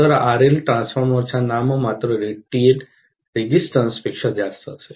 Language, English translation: Marathi, So, RL is going to be much much higher than the nominal rated resistance of the transformer